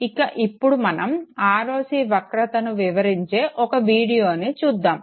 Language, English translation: Telugu, And now look at this very video which explains the ROC curve